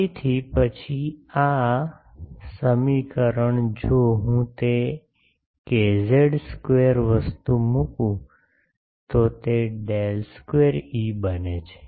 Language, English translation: Gujarati, So, then this, this equation if I put that k z square thing it becomes del square E